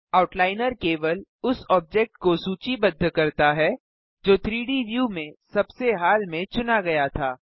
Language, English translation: Hindi, The Outliner lists only that object which was most recently selected in the 3D view